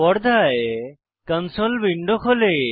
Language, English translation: Bengali, The console window opens on the screen